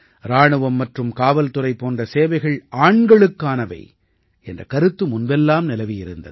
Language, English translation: Tamil, Earlier it was believed that services like army and police are meant only for men